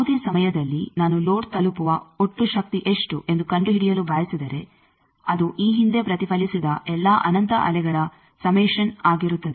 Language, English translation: Kannada, At any time if I want to find out what is the total power reaching the load that will be summation of all these infinite previously reflected waves